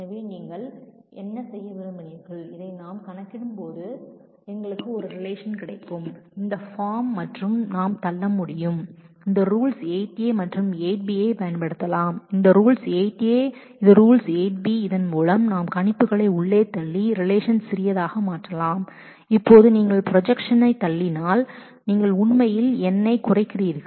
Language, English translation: Tamil, So, here is what you wanted to do and while we compute this we will get a relation of this form and we can push, we can use these rules rule 8a and 8b, this is rule 8a, this is rule 8b by this we can push the projections inside and make the relations smaller because now if you push the projection then you are actually cutting down on the on the number of columns